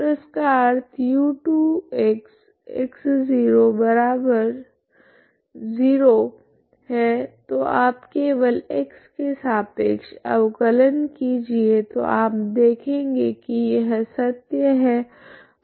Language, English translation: Hindi, So this implies u2x( x ,0)=0 okay so you simply differentiate with respect to x, so you will see that this is true